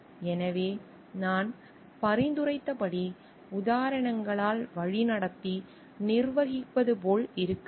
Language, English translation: Tamil, So, I as suggested should be like managing by doing leading by examples